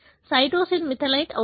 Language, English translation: Telugu, Cytosine gets methylated